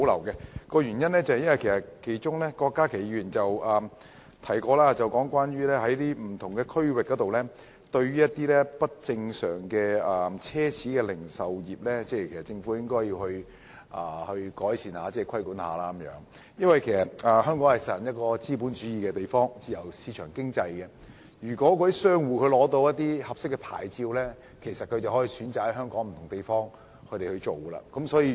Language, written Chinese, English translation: Cantonese, 因為郭家麒議員曾經提到，對於不同區域若干不正常的奢侈零售業，政府應作出規管和改善情況，而香港既實行資本主義、自由市場經濟，只要商戶取得合適牌照，應可選擇在香港不同地方經營。, Dr KWOK Ka - ki said that certain abnormal luxury goods retailing activities in various areas should be regulated by the Government to improve the situation . However Hong Kong practises capitalism and market economy . Shops with appropriate business registrations should be able to choose to operate in different areas